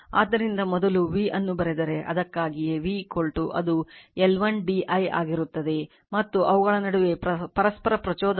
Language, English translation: Kannada, So, that is why first if you write the V V is equal to it will be L 1 d I and their mutual inductor between them is M right